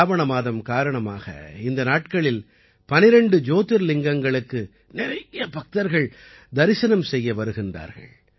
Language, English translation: Tamil, These days numerous devotees are reaching the 12 Jyotirlingas on account of 'Sawan'